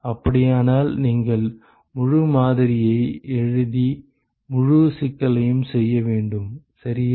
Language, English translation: Tamil, In that case you will have to write the full model and solve the full problem ok